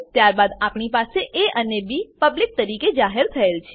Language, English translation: Gujarati, Then we have a and b declared as public